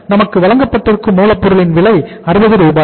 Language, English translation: Tamil, If you look at the cost of raw material that was given to us is that is say 60 Rs